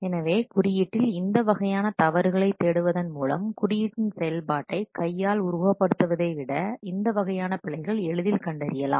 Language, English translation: Tamil, So by looking for this kind of mistakes in the code, these types of errors can be discovered rather than by simply hand simulating exemption of the code